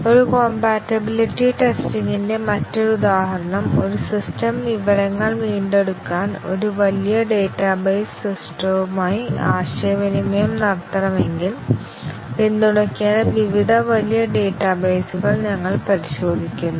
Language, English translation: Malayalam, Another example of a compatibility testing is that if a system has to communicate with a large database system to retrieve information, we check various large databases that needs to be supported